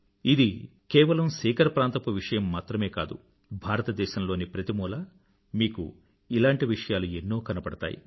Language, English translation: Telugu, And this is not only about Sikar, but in every corner of India, you will witness something akin to this